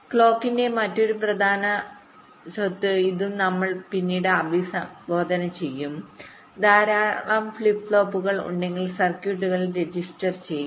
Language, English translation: Malayalam, and another important property of the clock signal this also we shall be addressing later that if there are many flip flops are register in circuit